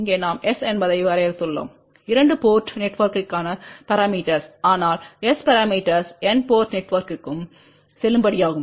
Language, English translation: Tamil, Here we have defined S parameters for 2 port network, but by the way S parameters are valid for n port network also